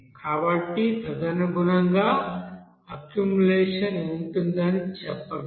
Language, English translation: Telugu, So that will be called as accumulation